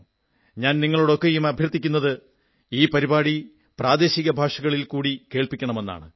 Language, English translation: Malayalam, I would request all of you also to kindly listen to this programme in your regional language as well